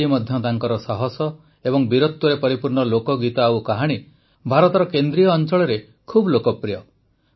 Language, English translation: Odia, Even today folk songs and stories, full of his courage and valour are very popular in the central region of India